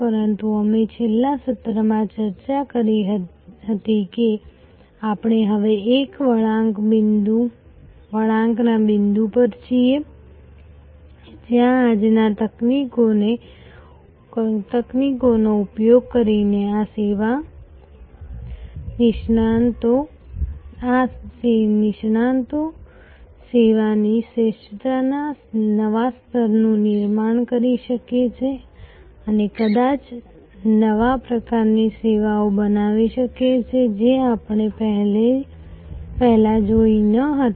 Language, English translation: Gujarati, But, we discussed in the last session that we are now at an inflection point, where these experts using today's technologies can create a new level of service excellence and can perhaps create new types of services, which we had not seen before